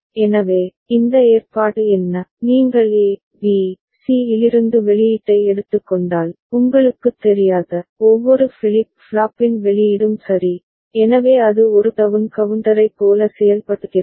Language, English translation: Tamil, So, what is this arrangement, if you are taking output from A, B, C, the uncomplemented you know, output of each of the flip flop ok, so then it is acting like a down counter